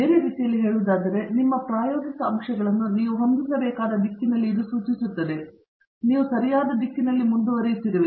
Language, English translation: Kannada, In other words, it points to the direction where you should set your experimental factors, so that you are progressing in the correct direction okay